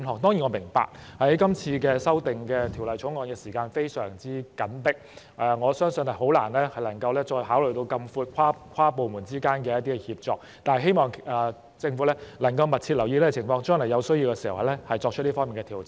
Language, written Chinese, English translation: Cantonese, 當然，我明白《條例草案》的時間表非常緊迫，我相信很難考慮範圍這麼闊的跨部門協作，但希望政府能夠密切留意這個情況，將來在有需要時作出這方面的調整。, Of course I understand that the time frame of the Bill was very tight and I believe it was rather difficult to consider interdepartmental collaboration in such a wide scope . But I hope the Government will keep a close eye on the situation and make adjustments in this respect as and when necessary